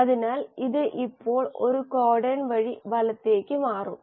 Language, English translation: Malayalam, So this now will shift by one codon to the right